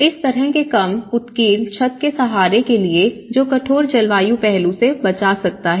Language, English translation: Hindi, You know to support this kind of low eaved roof which can protect from the harsh climatic aspect